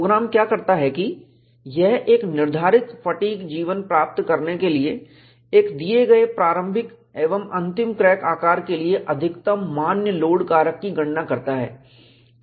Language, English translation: Hindi, What the program does is, it computes the maximum allowable load factors, to achieve a prescribed fatigue life for a given initial and final crack sizes